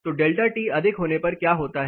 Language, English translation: Hindi, So, what happens when the delta T is high